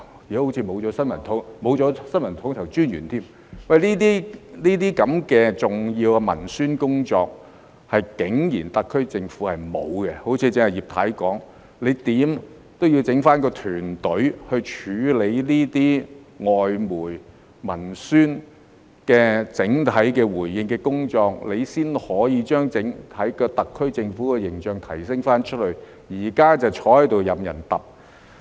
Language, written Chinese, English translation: Cantonese, 現在甚至沒有新聞統籌專員，這些重要的文宣工作，特區政府竟然沒有做，正如葉太剛才說，無論如何也要弄一個團隊來處理這些外媒文宣的整體回應的工作，這樣才可以對外提升特區政府的整體形象，但現在卻坐着任人"揼"。, As Mrs IP has just said a team must be set up to carry out the Governments general publicity work in response to foreign media reports and commentaries in this regard no matter what . Only by doing so will the overall image of the SAR Government be elevated externally . Yet our Government is just sitting there now allowing others to walk all over it